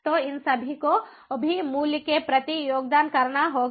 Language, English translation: Hindi, so all these also have to contribute towards the price